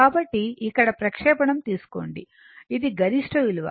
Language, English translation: Telugu, So, take a projection here this is the maximum value